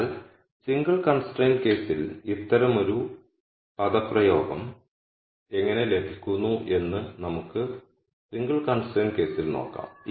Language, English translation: Malayalam, So, let us see in the single constraint case how we get an expression like this that that would be easy to see in the single constraint case